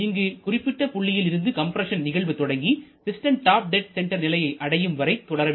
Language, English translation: Tamil, So, compression starts at this point and it continues till the piston reaches the top dead center